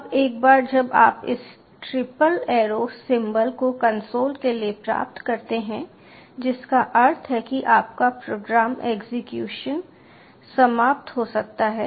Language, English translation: Hindi, now, once you get this triple arrow ah symbol for the console, that means your program execution has finished